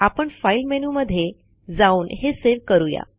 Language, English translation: Marathi, So let me go to File and then save